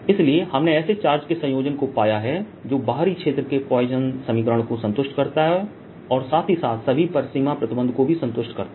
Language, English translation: Hindi, so we have found a combination of charges that satisfies the equation poisson equation in the outer region also satisfies all the boundary conditions